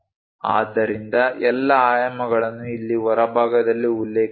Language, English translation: Kannada, So, all the dimensions are mentioned here on the outside